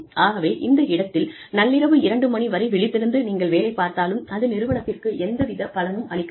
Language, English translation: Tamil, So, even if you are able to stay awake, till maybe 2 am, it is of no value, to the organization